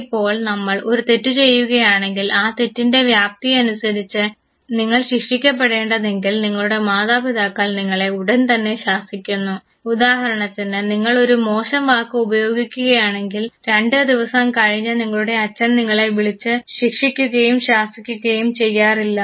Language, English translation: Malayalam, Now you commit an error and if the magnitude of the error considered by your parents to be able to trigger punishment you are immediately scolded; it is not that you for instance use a slang right now and after two days your father calls you and then punishes you, scold you, that does not happen